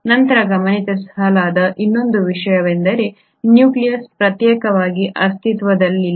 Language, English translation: Kannada, Then the other thing which is observed is that this nucleus does not exist in isolation